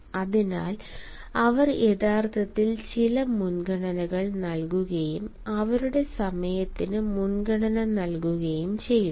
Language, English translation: Malayalam, hence they actually make certain preferences and they prioritize their time